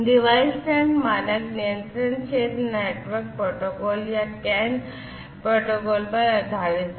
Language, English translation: Hindi, So, Device Net is based on the standard controller area network protocols, CAN protocol